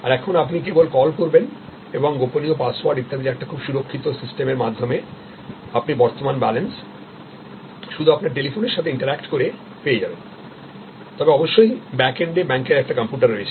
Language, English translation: Bengali, These days you can just call and through a very secure system of passwords and etc and you can access, you are balance information just interacting with your telephone, but at the back end of course, there is a computer of the bank